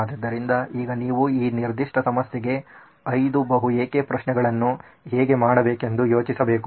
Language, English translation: Kannada, So now you will have to think about how do I do the 5 whys on this particular problem